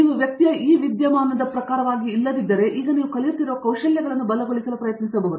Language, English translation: Kannada, If you are not this phenomena type of person right, you can now try to leverage the skills that you are learning, right